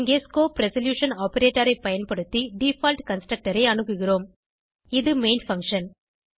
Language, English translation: Tamil, Here we access the default constructor using the scope resolution operator